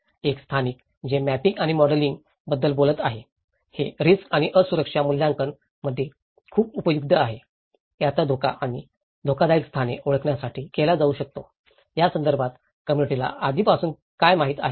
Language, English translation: Marathi, One is the spatial, which is talking about the mapping and modelling, this is very useful in risk and vulnerability assessment, it can be used to identify hazards and dangerous locations, what community already know about this